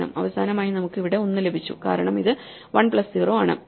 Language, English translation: Malayalam, Finally, we got one here because this is 1 plus 0